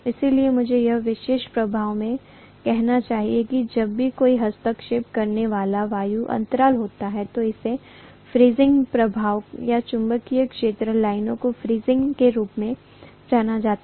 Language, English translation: Hindi, So I should say this particular effect what happens whenever there is an intervening air gap, this is known as fringing effect or fringing of magnetic field lines